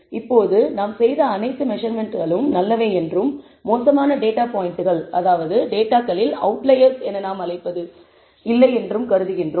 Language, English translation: Tamil, Now, we also assume that all the measurements that we have made are reasonably good and there are no bad data points or what we call outliers in the data